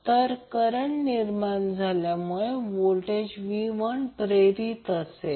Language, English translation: Marathi, So because of that flux generated you will have the voltage V induced